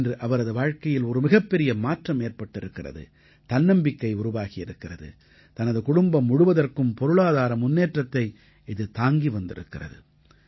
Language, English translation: Tamil, At present, her life has undergone a major change, she has become confident she has become selfreliant and has also brought an opportunity for prosperity for her entire family